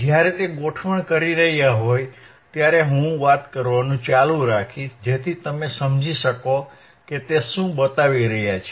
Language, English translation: Gujarati, and wWhile he is implementing, I will keep talking, so that you understand what exactly he is showing ok